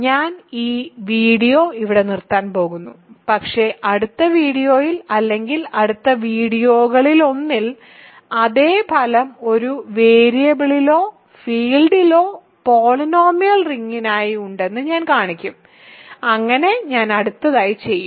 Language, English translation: Malayalam, So, I am going to stop this video here, but in the next video or in one of the next videos, I will show that the same result holds for polynomial ring in one variable or a field so, that I will do next